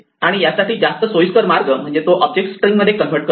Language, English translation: Marathi, And for this the most convenient way is to convert the object to a string